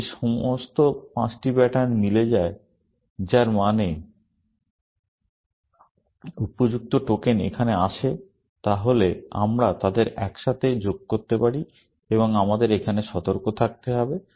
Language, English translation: Bengali, If all the five patterns match, which means, the appropriate tokens come down here, then we can join them together, and we have to be careful here